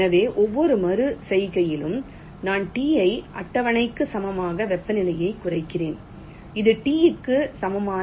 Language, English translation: Tamil, so in every iteration i am reducing the temperature, t equal to schedule t